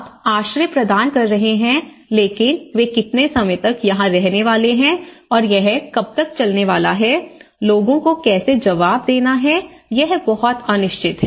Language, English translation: Hindi, So, you are providing the shelter but how long they are going to stay here and how long it is good to last, how people are going to respond is very uncertain